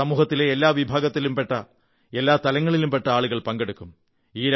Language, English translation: Malayalam, It will include people from all walks of life, from every segment of our society